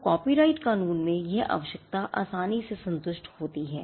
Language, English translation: Hindi, So, this requirement in copyright law is easily satisfied